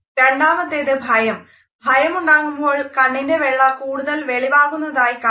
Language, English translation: Malayalam, Number 2, fear; for fear more of the whites of the eyes will be shown